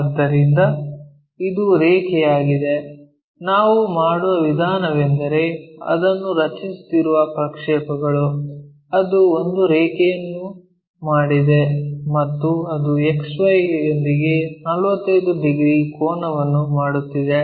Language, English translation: Kannada, So, this is the line so, the way we do is projections if we are making it, it made a line and that is making 45 degrees angle with XY